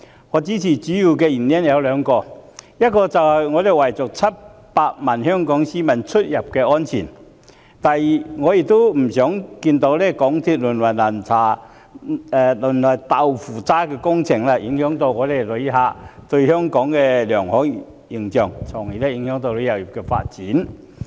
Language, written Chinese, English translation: Cantonese, 我支持的原因主要有兩個：第一，是為了700萬香港市民的出入安全着想；以及第二，是因為我不想看到鐵路項目淪為"豆腐渣"工程，影響旅客對香港的良好形象，繼而影響旅遊業發展。, I give support mainly for two reasons . The first reason is out of consideration for the travel safety of the 7 million Hong Kong people . The second reason is that I do not want to see the degeneration of railway projects into jerry - built projects as this may adversely affect visitors positive impression of Hong Kong and in turn undermine tourism development